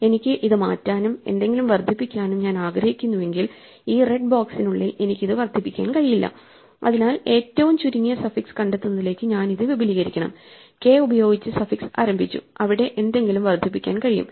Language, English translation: Malayalam, If I want to change it and need to increment something and I mean to increment it, I cannot increment it within this red box so I must extend this to find the shortest suffix namely; suffix started with k where something can be incremented